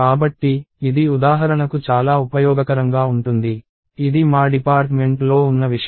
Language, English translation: Telugu, So, this is very useful for instance, this is something that we have in our department